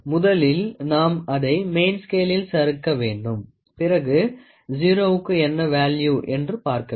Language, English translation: Tamil, First, we just slide this across the main scale division and then what we get is we try to see what is the value for zero